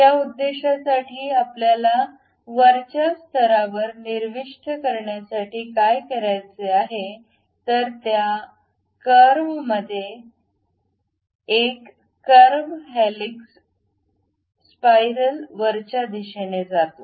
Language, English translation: Marathi, For that purpose what we have to do go to insert on top level there is a curve in that curve go to helix spiral